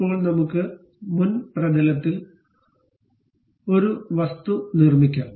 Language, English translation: Malayalam, Now, let us construct an object on the front plane